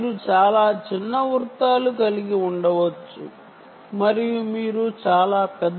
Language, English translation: Telugu, right, you can have very small circles and you can have very large circles